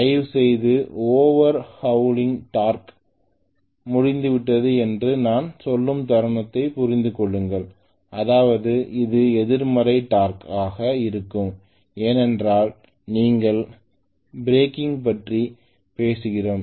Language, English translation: Tamil, Please understand the moment I say it is over hauling torque that means this has going to be a negative torque because we are talking about breaking